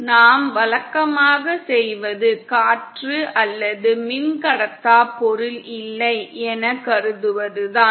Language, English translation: Tamil, What we usual do is we assume as if there is neither air nor the dielectric material present